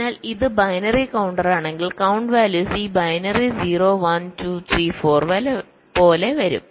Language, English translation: Malayalam, so if it is binary counter, the count values will come like this: binary: zero, one, two, three, four, like this